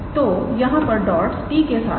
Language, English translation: Hindi, So, here the dots are with is to t